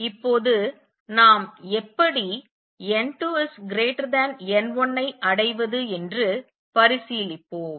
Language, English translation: Tamil, Right now, let us consider how do we achieve n 2 greater than n 1